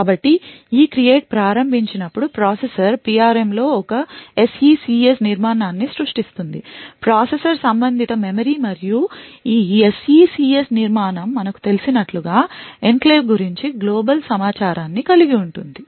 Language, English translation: Telugu, So, when ECREATE is invoked the processor would create an SECS structure in the PRM the processor related memory and this SECS structure as we know would contain the global information about the enclave